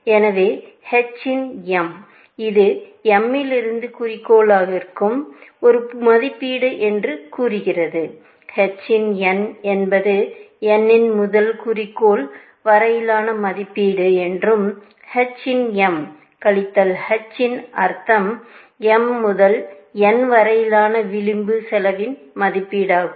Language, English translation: Tamil, So, h of m says that it is an estimate to the, from m to goal; h of n says the estimate from n to goal, and h of m minus h of n in some sense, is the estimate of the edge cost from m to n